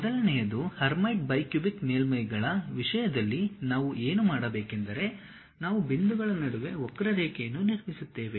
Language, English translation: Kannada, The first one, in terms of Hermite bi cubic surfaces, what we do is we construct a curve between points